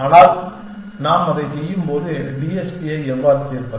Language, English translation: Tamil, But, when we are doing that, we will keep in mind how to solve the TSP